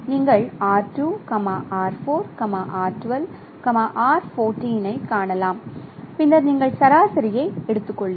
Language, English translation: Tamil, So you can see that R2, R4, R12 and R14 and then you take the average